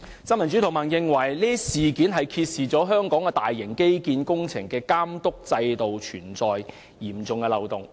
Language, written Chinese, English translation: Cantonese, 新民主同盟認為，事件揭示香港大型基建工程的監督制度存在嚴重漏洞。, In the view of the Neo Democrats the incident points to serious loopholes in the system for supervising major infrastructure projects in Hong Kong